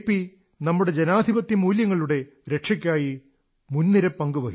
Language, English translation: Malayalam, JP played a pioneering role in safeguarding our Democratic values